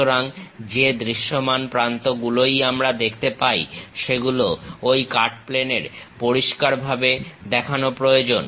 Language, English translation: Bengali, So, whatever the visible edges we can really see those supposed to be clearly shown on that cutting plane